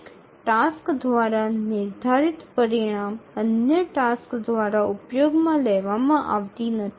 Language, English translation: Bengali, The result produced by one task used by other tasks